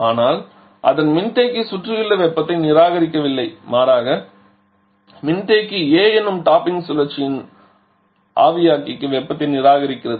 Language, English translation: Tamil, But its condenser is not rejecting heat to the surrounding rather the condenser is reacting heat to the evaporator of the topping cycle which is A